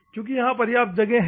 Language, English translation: Hindi, So, it has sufficient space